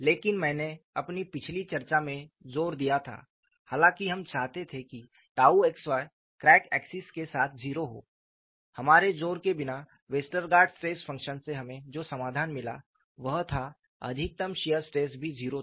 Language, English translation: Hindi, But I had emphasized in our earlier discussion, though we wanted tau xy to be 0 along the crack axis, without our emphasize, the solution what we got from Westergaard stress function was the maximum shear stress was also 0